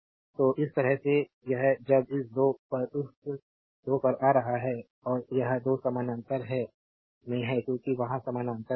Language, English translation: Hindi, So, this way it is coming now this at this 2 at this 2 and this 2 are in parallel because there in parallel